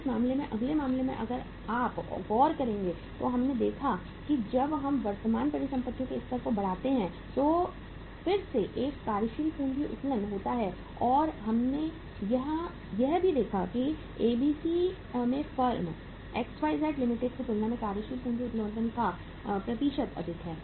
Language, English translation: Hindi, Now, in this case in the next case if you look at we have seen here that again there is a working capital leverage when we increase the level of current assets and we have seen here also that there is a higher percentage of working capital leverage in ABC as compared to the firm XYZ Limited